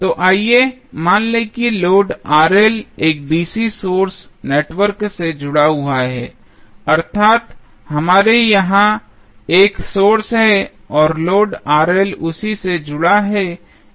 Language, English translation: Hindi, So, let us assume that the load Rl is connected to a DC source network that is, we have a book here and load Rl is connected to that